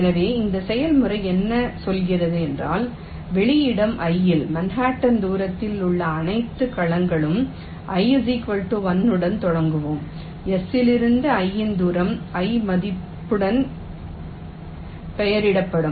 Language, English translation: Tamil, so what this process says is that in spec i, all the cells which are at an manhattan distance of all we will start with i, equal to one, distance of i from s, will be labeled with the value i